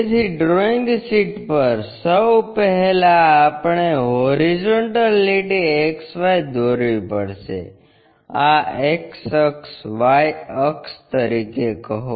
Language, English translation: Gujarati, So, on the drawing sheet first we have to draw a horizontal line XY; name this x axis, y axis